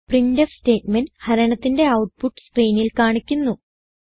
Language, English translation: Malayalam, The printf statement displays the division output on the screen